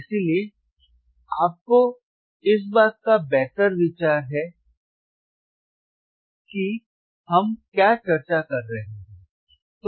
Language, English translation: Hindi, So, you got a better idea of what we are discussing all right